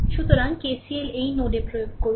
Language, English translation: Bengali, So, KCL you apply at this node, right